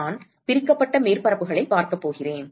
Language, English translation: Tamil, I am going to look at divided surfaces